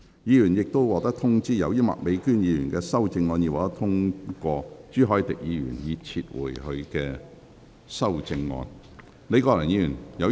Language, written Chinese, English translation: Cantonese, 議員已獲通知，由於麥美娟議員的修正案獲得通過，朱凱廸議員已撤回他的修正案。, Members have already been informed that as Ms Alice MAKs amendment has been passed Mr CHU Hoi - dick has withdrawn his amendment